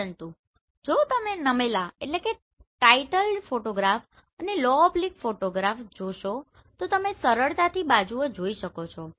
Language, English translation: Gujarati, But if you see the titled photograph, low oblique photograph you can easily see this sides